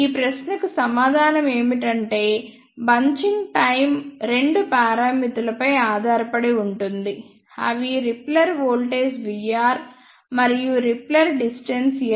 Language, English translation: Telugu, Answer to this question is that the bunching time depends on two parameters which are repeller voltage V r and repeller distance L